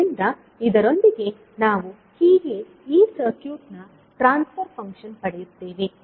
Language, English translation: Kannada, So, with this we get the transfer function of this circuit